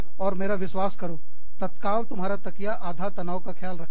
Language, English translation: Hindi, And, trust me, your pillow takes care of, half the stress, there and then